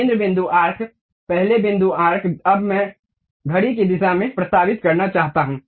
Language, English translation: Hindi, Center point arc, first point arc, now I want to move clockwise direction